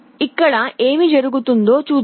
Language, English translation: Telugu, Let us see what happens here